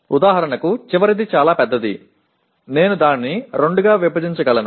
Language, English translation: Telugu, For example the last one is fairly large, I can break it into two